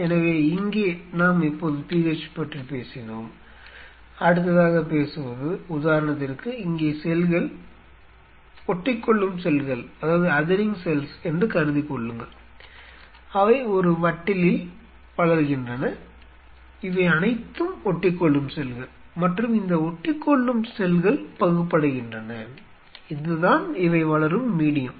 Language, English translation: Tamil, So, here we have now talked about the PH, the next what will be talking about is see for example, here the cells are growing in a dish adhering cell assuming that these are all adhering cells and these adhering cells are dividing, this is the medium where they are growing